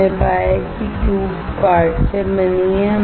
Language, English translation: Hindi, We found that the tube is made up of quartz